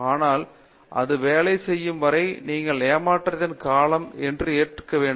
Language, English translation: Tamil, But, until that one works out you have to go through periods of disappointment